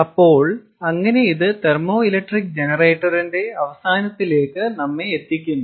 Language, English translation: Malayalam, so that kind of ah brings us to the end of thermoelectric generation and ah